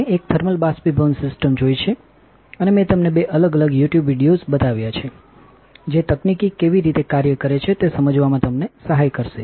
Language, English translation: Gujarati, We have seen a thermal evaporation system and I have also you know in shown you two different YouTube videos right that will help you how to understand how the technology works